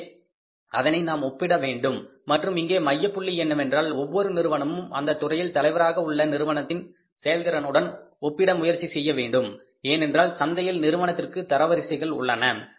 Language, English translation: Tamil, So we will have to compare it and the focal point here is the Abri company should try to compare it with the leaders performance because there are the rankings of the firm in the market